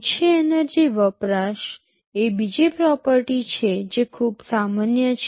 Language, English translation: Gujarati, Low energy consumption is another property which is pretty common